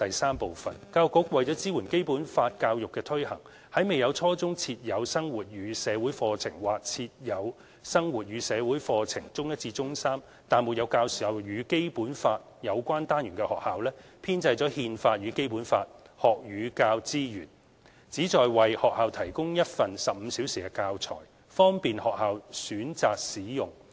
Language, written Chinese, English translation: Cantonese, 三教育局為支援《基本法》教育的推行，為未有在初中設有生活與社會課程或設有生活與社會課程，但沒有教授與《基本法》有關單元的學校，編製"憲法與《基本法》"學與教資源，旨在為學校提供一份15小時的教材，方便學校選擇使用。, 3 To support the implementation of Basic Law education the Education Bureau produced the 15 - hour Constitution and the Basic Law module to provide alternative teaching materials for schools that do not offer the Life and Society subject at junior secondary level or schools that offer the subject but not the Basic Law - related modules